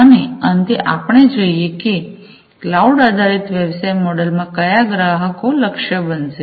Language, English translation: Gujarati, And finally, let us look at who are going to be the target customers in the cloud based business model